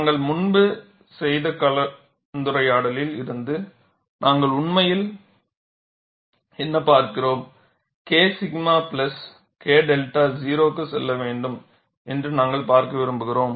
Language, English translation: Tamil, And from the discussion we have done earlier, what we are really looking at is, we want to see K sigma plus K delta should go to 0